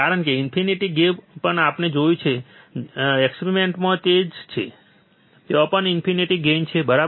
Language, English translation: Gujarati, Because infinite gain, but what we saw, right in experiment is that, even there is infinite gain, right